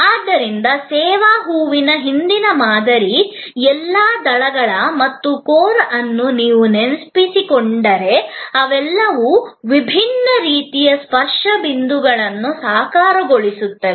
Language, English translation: Kannada, So, if you remember the earlier model of the service flower, all the petals and the core, they all embody different sort of touch points